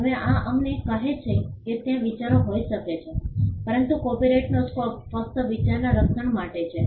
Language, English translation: Gujarati, Now, this tells us that there could be ideas, but the scope of the copyright is only for the protection of the idea